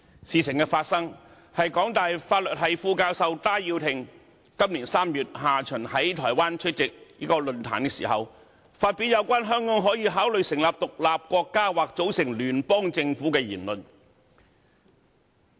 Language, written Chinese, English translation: Cantonese, 事情發生的過程，是香港大學法律系副教授戴耀廷，於今年3月下旬在台灣出席論壇時，發表有關香港可以考慮成立獨立國家或組成聯邦政府的言論。, The course of events was that Benny TAI Associate Professor of the Faculty of Law University of Hong Kong HKU attended a forum in Taiwan in late March this year and made the remark that Hong Kong could consider becoming an independent state or forming a federal government